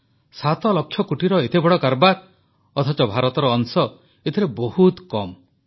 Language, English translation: Odia, Such a big business of 7 lakh crore rupees but, India's share is very little in this